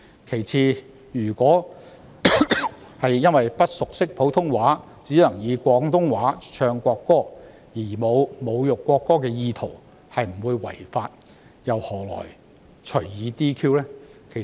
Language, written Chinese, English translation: Cantonese, 其次，如果因為不熟識普通話，只能以廣東話唱國歌而沒有侮辱國歌的意圖並不會違法，何來隨意 "DQ"？, Moreover if Members who are not fluent in Putonghua sing the national anthem in Cantonese with no intent to insult the national anthem they will not violate the law . Why will they be arbitrarily disqualified?